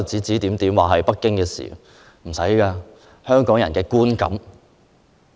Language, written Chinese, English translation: Cantonese, 這是不用證據的，這是香港人的觀感。, Yet evidence is not necessary in this case as this is the impression of people in Hong Kong